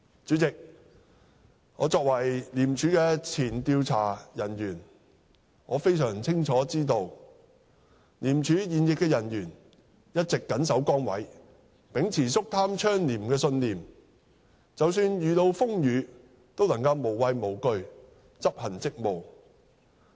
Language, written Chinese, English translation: Cantonese, 主席，我作為前廉署調查人員，非常清楚知道廉署現役人員一直謹守崗位，秉持肅貪倡廉的信念，即使遇到風雨，都能無畏無懼執行職務。, President as a former ICAC investigator I know full well that the serving staff of ICAC have always worked faithfully in their positions upholding the principle of fighting corruption and promoting clean practices . They have performed their duties fearlessly even in the face of difficulties and challenges